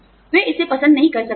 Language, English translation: Hindi, They may not like it